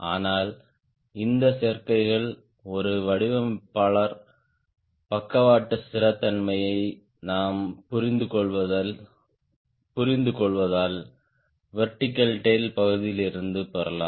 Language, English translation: Tamil, but then these are the combinations because we understand is the designer, lateral stability we can get from vertical tail also